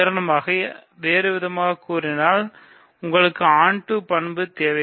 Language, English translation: Tamil, So, for example; so we need in other words we need the onto property